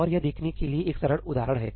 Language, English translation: Hindi, And here is a simple example to see that